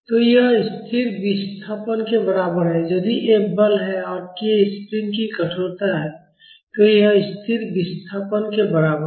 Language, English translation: Hindi, So, this is equal to a static displacement, if F is the force and k is the stiffness of the spring this is equivalent to a static displacement